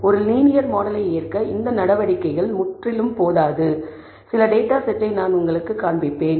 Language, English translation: Tamil, I will show you some data set which shows that that these measures are not completely sufficient to accept a linear model